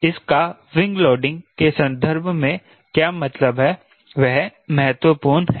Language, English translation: Hindi, what does it mean in terms of wing loading